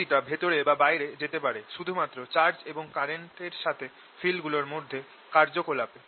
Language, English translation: Bengali, the only way the energy can go in and come out is through interaction of fields with charges and currents